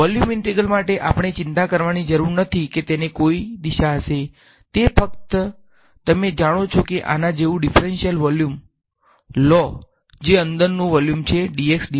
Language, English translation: Gujarati, For volume integrals, we need not worry there is no direction, it is just you know the take a differential volume like this that is the volume inside dx dy dz